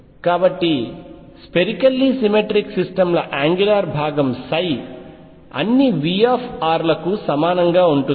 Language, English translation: Telugu, So, angular part of psi for spherically symmetric systems is the same for all V r